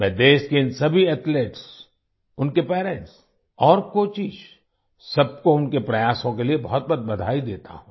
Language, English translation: Hindi, I congratulate all these athletes of the country, their parents and coaches for their efforts